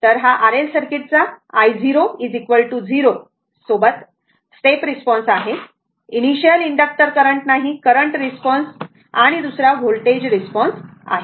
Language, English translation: Marathi, So, this is the step response of an R L circuit with I 0 is equal to 0, no initial inductor current, right; a current response and second is the voltage response so